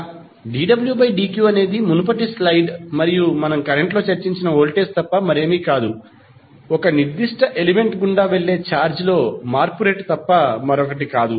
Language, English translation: Telugu, dw by dq is nothing but the voltage which we discussed in the previous class previous slides and I is nothing but rate of change of charge passing through a particular element